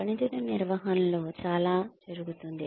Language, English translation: Telugu, Performance management has a lot going on